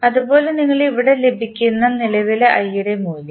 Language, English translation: Malayalam, Similarly, for the value of current i which you get here